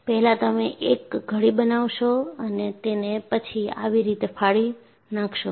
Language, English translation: Gujarati, You will make a fold and tear it like this